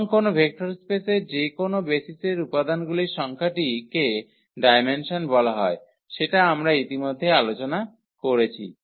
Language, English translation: Bengali, And the number of elements in any basis of a vector space is called the dimension which we have already discussed